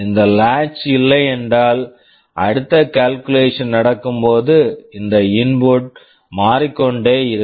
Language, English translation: Tamil, If this latch was not there, then while the next calculation is going on this input will go on changing